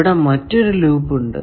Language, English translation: Malayalam, Now, what is a loop